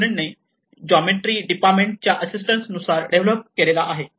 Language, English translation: Marathi, D student, assistance from the Geometrics Department